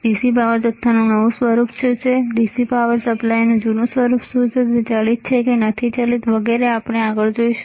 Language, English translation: Gujarati, What are the newer version of DC power supply, what are the older version of DC power supply, it is variable not variable we will see this kind of things anyway